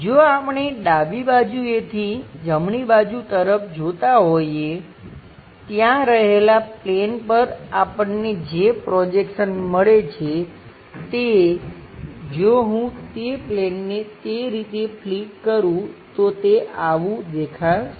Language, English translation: Gujarati, If we are looking from left direction towards right direction, having a plane whatever the projections we are going to get onto that plane, if I flip that plane the way how it looks like is this